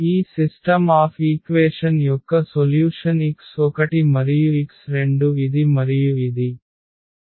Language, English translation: Telugu, So, our solution of this system of equation is x 1 and x 2 this alpha and this 1 0